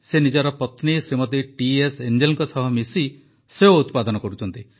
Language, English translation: Odia, He along with his wife Shrimati T S Angel has grown apples